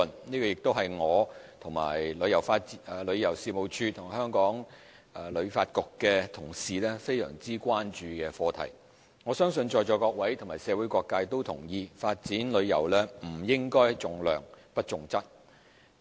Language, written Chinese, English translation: Cantonese, 這亦是我和旅遊事務署及香港旅遊發展局的同事十分關注的課題。我相信在座各位和社會各界都同意，發展旅遊不應重量不重質。, This is also the issue of gravest concern to colleagues of the Tourism Commission and the Hong Kong Tourism Board HKTB and I I think Members present at the meeting and the community at large would agree that the development of tourism should not emphasize quantity over quality